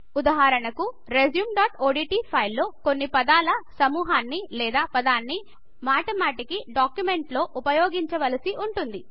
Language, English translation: Telugu, For example, in our resume.odt file, there might be a few set of words or word which are used repeatedly in the document